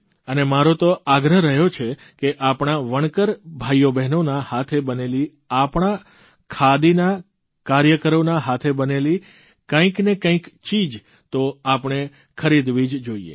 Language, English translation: Gujarati, And I keep insisting that we must buy some handloom products made by our weavers, our khadi artisans